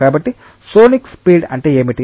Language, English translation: Telugu, So, to say what is sonic speed